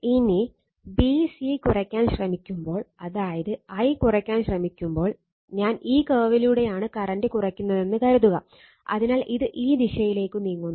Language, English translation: Malayalam, Now, when you try to when you try to reduce b c or what you call try to reduce the current now, suppose why I am moving in this the curve reducing the current, so it is moving in this direction